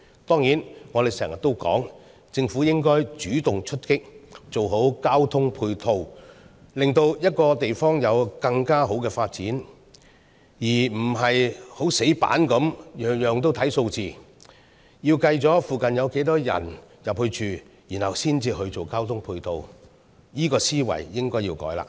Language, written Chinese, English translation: Cantonese, 當然，我們經常也說，政府應該主動出擊，做好交通配套，令一個地方有更好的發展，而非死板地每件事物也只看數字，要計算附近有多少人前往居住，然後才進行交通配套，這個思維應該要改變了。, Of course as we often say the Government should proactively provide good transport supporting facilities to enable better development of an area instead of rigidly adopting a numbers - only approach to calculate the number of people moving in from nearby areas before providing such facilities . It is high time to change this thinking